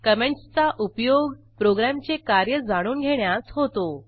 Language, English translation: Marathi, Comments are useful to understand the flow of program